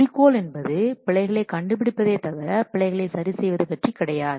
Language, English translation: Tamil, The objective is the focus is only on discovering the errors but not on how to fix the discover errors